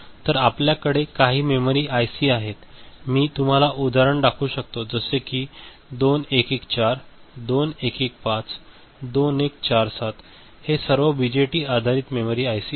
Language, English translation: Marathi, So, we have memory IC s so, some examples I can show you that 2114, 2115, 2147 these are all BJT based memory ICs right